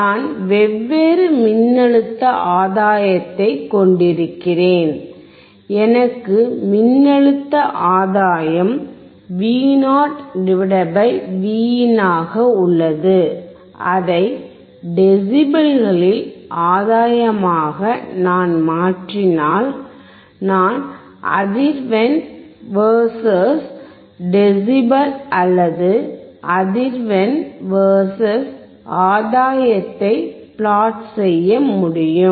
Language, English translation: Tamil, I have different voltage gain, I have voltage gain Vo / Vin, for that if I change it to gain in terms of decibels, I can plot frequency versus decibel or frequency versus gain